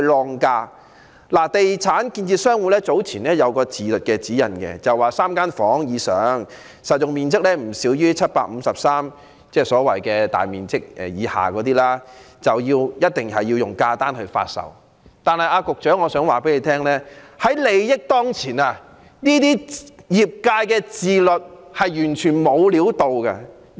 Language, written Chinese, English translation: Cantonese, 香港地產建設商會早前發出一項自律指引，訂明3房以上、實用面積不少於753平方呎——即所謂大面積以下的住宅——一定要以價單形式發售，但我想告訴局長，利益當前，這種業界自律是完全沒有作用的。, Some time ago the Real Estate Developers Association of Hong Kong issued self - regulation guidelines to specify that units with more than three rooms and a floor area of no less than 753 sq ft―that is residential units with floor areas below what is considered large floor areas―must be sold by way of price lists but I wish to tell the Secretary that given the interests at stake such self - regulation is totally ineffective